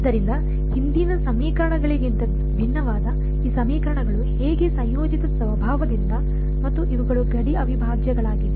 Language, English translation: Kannada, So, how these equation for different from previous ones was because of the coupled nature and also these are boundary integrals